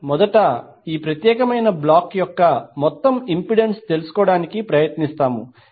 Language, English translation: Telugu, We will first try to find out the total impedance of this particular block